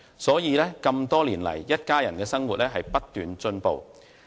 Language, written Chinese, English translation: Cantonese, 所以，這麼多年來，一家人的生活不斷改善。, Hence the quality of life of this family has improved over the years